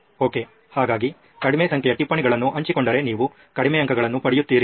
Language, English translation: Kannada, Okay, so low number of notes shared then you get low scores